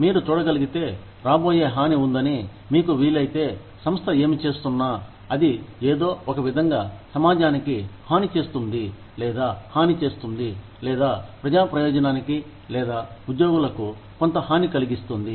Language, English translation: Telugu, If you can see, that there is impending harm, if you can, if you are sure, that whatever the organization is doing, will in some way harm the community, or harm the, or bring some harm to the public good, or to the employees